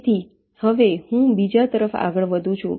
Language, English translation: Gujarati, now we move to the third